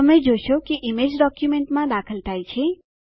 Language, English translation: Gujarati, You will see that the image gets inserted into your document